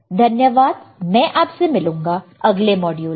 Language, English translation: Hindi, Thank you and I will see you next model